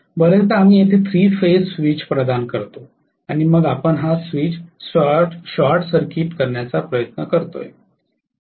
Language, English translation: Marathi, Very often what we do is to provide a 3 phase switch here and then we will try to short circuit this switch